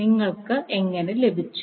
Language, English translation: Malayalam, How you got